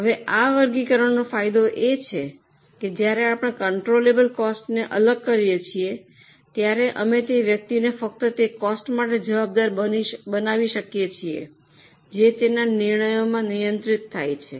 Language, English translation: Gujarati, Now, the advantage of this classification is, when we segregate controllable cost, we can make that particular person responsible only for those costs which are controllable within his or her decisions